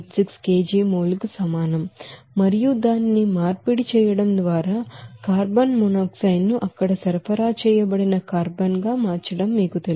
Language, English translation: Telugu, 1286 kg mole based on that amount of oxidized oxygen and carbon and converted it will be simply subtracting this you know conversion of carbon monoxide to that you know supplied carbon there